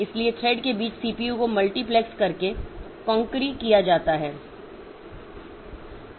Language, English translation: Hindi, So, concurrency is done by multiplexing the CPUs among the threads